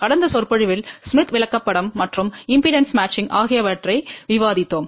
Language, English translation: Tamil, In the last lecture, we are started discussion about Smith Chart and Impedance Matching